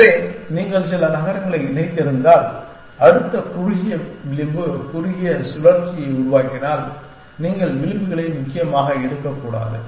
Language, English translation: Tamil, So, if you have connect a some number of cities and if the next shortest edge is forming a shorter loop then, you should not take the edges essentially